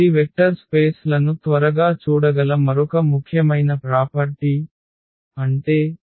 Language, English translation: Telugu, So, that is another important property which we can quickly look for the vector spaces; that means, this F 0 must be equal to 0